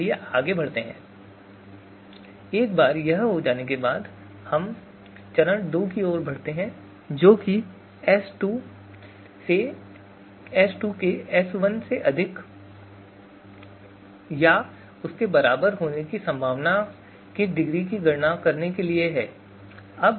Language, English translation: Hindi, Now if we were to compare them and what is going to be in that comparison, what is going to be degree of possibility that S2 is going to be greater than or equal to S1